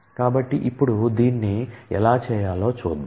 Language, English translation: Telugu, So, we will see how to do this in the course of time